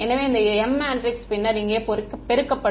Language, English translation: Tamil, So, this m matrix will then get multiplied over here